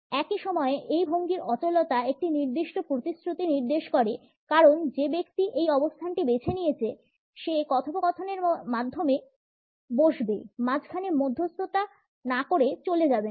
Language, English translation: Bengali, At the same time the immobility of this posture suggest a certain commitment because the person who is opted for this stance would sit through the conversation, would not leave the negotiations in the middle and walk away